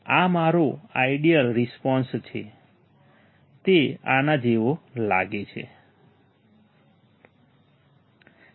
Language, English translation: Gujarati, This is my ideal response, it should look like this right